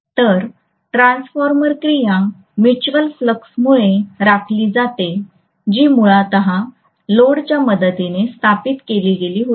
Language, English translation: Marathi, So the transformer action is maintained because of the mutual flux which was originally established with the help of the no load current